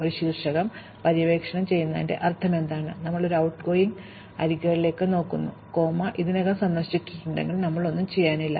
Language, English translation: Malayalam, What does it mean to explore a vertex, we look at the outgoing edges i comma j, if j has already been visited, we are nothing to do